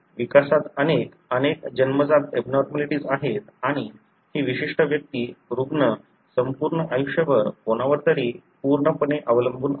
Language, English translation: Marathi, There are many, many congenital abnormalities in the development and this particular individual, the patient is fully dependent on somebody throughout his or her life span